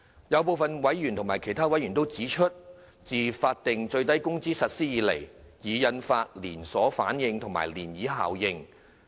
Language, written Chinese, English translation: Cantonese, 有部分委員指出，自法定最低工資實施以來，已引發連鎖反應及漣漪效應。, Some members have pointed out that SWM has induced the knock - on effect and the ripple effect since its implementation